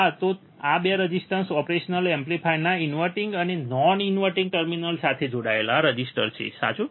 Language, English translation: Gujarati, yes so, these 2 resistors are the resistors connected to inverting and non inverting terminal of the operational amplifier, correct